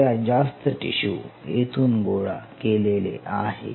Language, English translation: Marathi, So, most of the tissue is collected from here